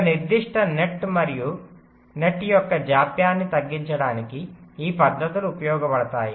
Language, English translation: Telugu, this techniques are used to reduce the delay of a particular net